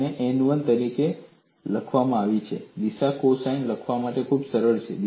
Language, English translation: Gujarati, That is given as n 1 and the direction cosines are very simple to write